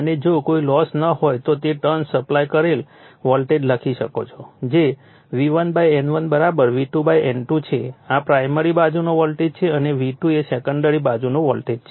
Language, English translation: Gujarati, And if there is no loss we assume there is no loss then we can write that your turn supplied voltage that is V1, V1 / N1 = V2 / N2 this is primary side voltage and V2 is the secondary side voltage